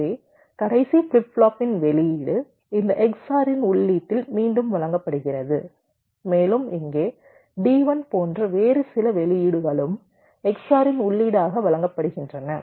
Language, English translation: Tamil, these are d flip flops, so the output of the last flip flop is fed back in to the input of this x or and some other output, like here, d one is also fed as the input of x or